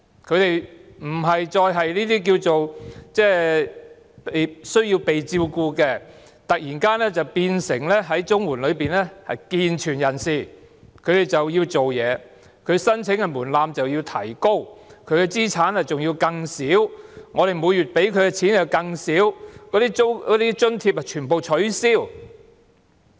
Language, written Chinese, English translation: Cantonese, 他們不再是需要照顧的人，突然變成在綜援政策下的健全人士，需要工作，而綜援的申請門檻要提高，資產上限要更低，政府每月提供的金額要更少，津貼則全部取消。, They are no longer people who need to be looked after . They suddenly become able - bodied persons under the CSSA policy and need to work . The application threshold for CSSA has got to be raised